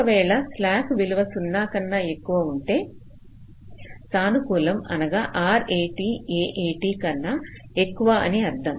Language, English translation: Telugu, suppose slack is a value which is greater than zero, positive, which means r a t is greater than a a t